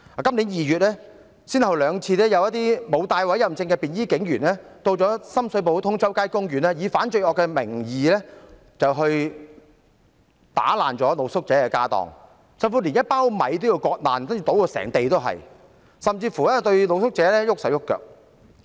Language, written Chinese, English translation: Cantonese, 今年2月，沒有佩戴委任證的便衣警員先後兩次到深水埗通州街公園，以反罪惡的名義，打爛露宿者的家當，甚至連一包米也要割破，倒至滿地都是米，更甚的是對露宿者動粗。, In February this year plain - clothed police officers not wearing their warrant cards went to Tung Chau Street Park in Sham Shui Po twice . In the name of an anti - crime operation they smashed the street sleepers belongings and even ripped open a pack of rice spilling the rice all over the ground . What is worse they used violence against the street sleepers